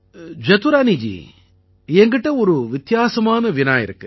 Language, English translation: Tamil, Jadurani ji, I have different type of question for you